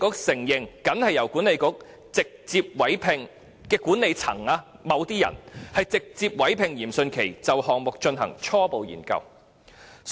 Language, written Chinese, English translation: Cantonese, 西九管理局其後承認，僅由管理層直接委聘嚴迅奇就項目進行初步研究。, WKCDA later admitted that Rocco YIM was directly commissioned by the management to conduct the preliminary study on the project